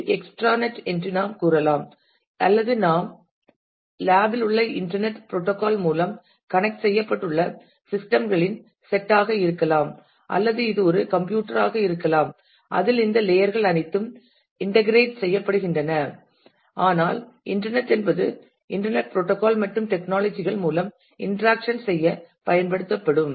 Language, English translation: Tamil, Which we say are extranet or it could even be a set of systems which are connected through the internet protocol within your lap or it could even be a single computer in which all these layers are integrated together, but by internet we mean it is a internet protocol and technologies will be used for doing this interaction